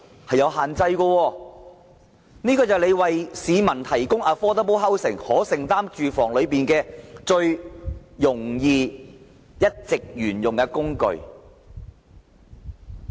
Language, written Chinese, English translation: Cantonese, 這是政府為市民提供可負擔房屋的最容易及一直沿用的工具。, This is the simplest tool that the Government has been using to provide affordable housing for members of the public but why is it no longer used?